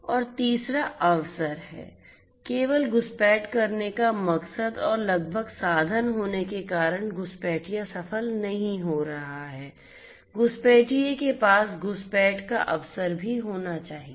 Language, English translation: Hindi, And third is the opportunity, merely having the motive to intrude and nearly having the means is not going to make the intruder successful, the intruder should also have the opportunity for intrusion